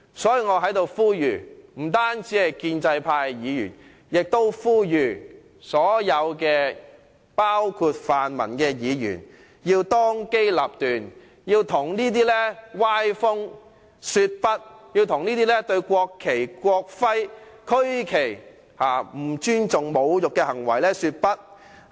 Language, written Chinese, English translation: Cantonese, 因此，我在此不單向建制派的議員呼籲，亦向所有議員——包括泛民議員——呼籲，他們要當機立斷，向這種歪風說不，向這些不尊重和侮辱國旗、國徽和區旗的行為說不。, Therefore I call on not only Members of the pro - establishment camp but also all Members―including the pan - democratic Members―to act decisively say no to this kind of undesirable trend and say no to these acts of disrespecting and desecrating the national flag national emblem and regional flag